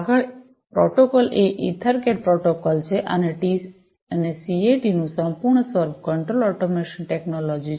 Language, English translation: Gujarati, Next, protocol is the EtherCAT protocol and the full form of CAT is Control Automation Technology